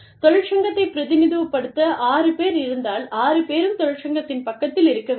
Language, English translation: Tamil, If there are six people, representing the union, all six should be, on the side of the union